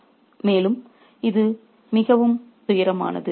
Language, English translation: Tamil, And this is very, very tragic